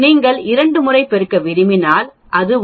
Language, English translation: Tamil, If you want to multiply twice it will become 0